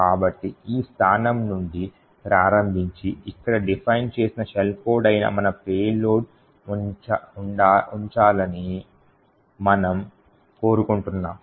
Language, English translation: Telugu, So, starting from this location we would want our payload that is the shell code defined over here to be present